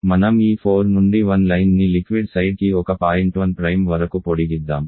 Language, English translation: Telugu, Let us extend this 4 to 1 line extend to liquid side up to a point 1 Prime